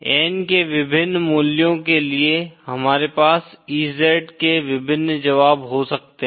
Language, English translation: Hindi, For various values of n, we can have various solutions of EZ